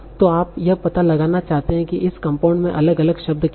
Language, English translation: Hindi, So you might want to find out what are the individual words in this particular compound